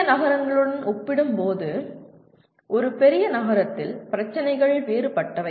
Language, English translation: Tamil, The issues are different in a city compared to smaller towns